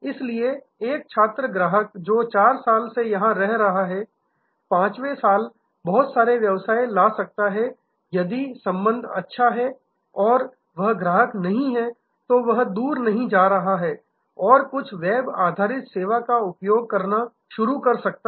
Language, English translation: Hindi, So, a student customer who is staying here for 4 years, 5 years can bring in a lot of business if the relationship is good and he is not the customer, he is not going away and start using some web based service